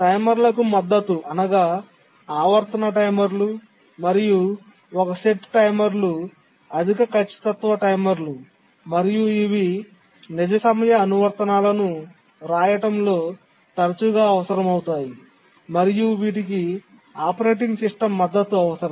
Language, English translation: Telugu, Support for timers, both periodic timers and one set timers, high precision timers, these are frequently required in writing real time applications and need to be supported by the operating system